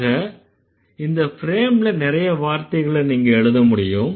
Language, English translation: Tamil, So, in this frame you can actually insert a lot of other words